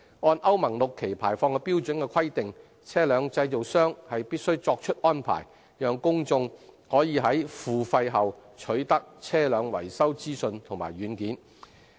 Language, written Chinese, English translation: Cantonese, 按歐盟 VI 期排放標準的規定，車輛製造商須作出安排，讓公眾可以在付費後取得車輛維修資訊及軟件。, As part of the Euro VI emission standard requirements vehicle manufacturers are required to make arrangements for the public to have access to vehicle maintenance information and software on payment of a fee